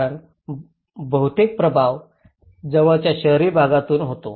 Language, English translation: Marathi, Because most of the influence happens from the nearby urban areas